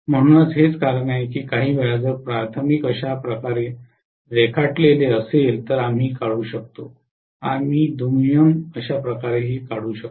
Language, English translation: Marathi, So that is the reason sometimes we may draw if the primary is drawn like this we may draw the secondary somewhat like this